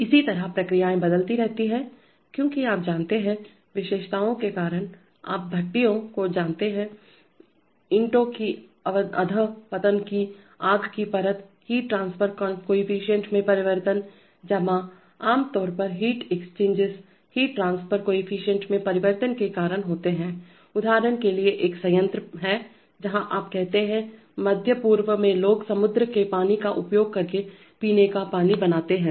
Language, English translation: Hindi, Similarly processes keep changing because of, you know, because of the characteristics, you know furnaces, fire lining of bricks degenerate, heat transfer coefficients change, depositions, typically heat exchanges, heat transfer coefficients tend to change because of depositions for example in let us say there is a plant where, you, say in this, in the Middle East people make drinking water by using sea water